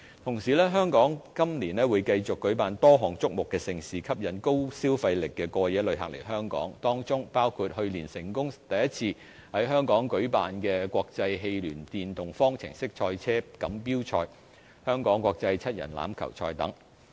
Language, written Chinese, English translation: Cantonese, 同時，香港今年會繼續舉辦多項矚目盛事，吸引高消費力的過夜旅客來港，當中包括去年成功首次在香港舉辦的國際汽聯電動方程式賽車錦標賽、香港國際七人欖球賽等。, Moreover a number of mega events will continue to be hosted in Hong Kong this year to attract high spending overnight visitors such as the FIA Formula E Hong Kong ePrix which made its debut successfully in Hong Kong last year and the Hong Kong Rugby Sevens